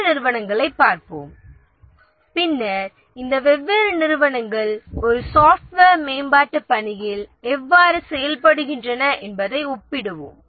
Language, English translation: Tamil, Let's look at the other organizations and then we'll compare that how does these different organizations they perform in a software development work